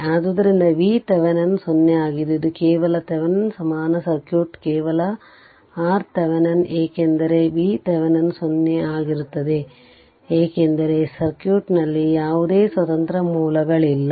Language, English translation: Kannada, So, V Thevenin will be 0; So, that is why V Thevenin is 0 just this is a Thevenin equivalent circuit just R Thevenin because V Thevenin will be 0, because there is no independent source in the circuit right